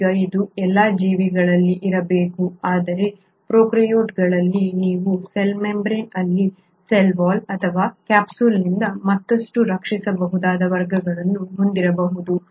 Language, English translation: Kannada, Now this has to be there in all the organisms, but within prokaryotes you can have categories where in the cell membrane may be further protected by a cell wall or a capsule